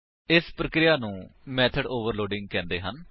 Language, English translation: Punjabi, The process is called method overloading